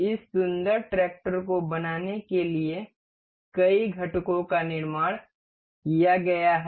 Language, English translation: Hindi, This build of multiple components that have been accumulated to form this beautiful tractor